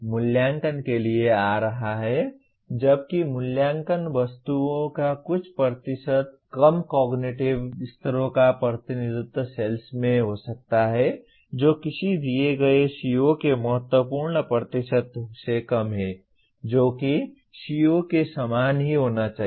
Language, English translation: Hindi, Coming to assessment while some small percentage of assessment items can be in cells representing lower cognitive levels less than that of a given CO significant percentage of assessment item should be in the same cell as that of CO